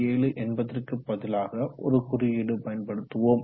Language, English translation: Tamil, 7 we will replace it with one more symbol, 2